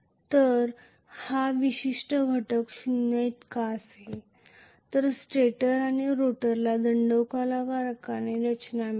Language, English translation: Marathi, So this particular component will be equal to zero give both stator and rotor have cylindrical structure